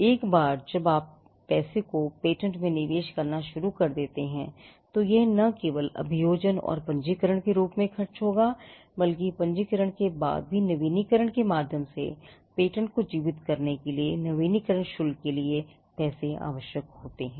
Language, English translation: Hindi, Once you start investing money into patenting then the money is like it will incur expenses not just in the form of prosecution and registration, but also after registration they could be money that is required to keep the patent alive through renewals; there will be renewal fees